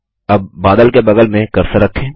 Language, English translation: Hindi, Now place the cursor next to the cloud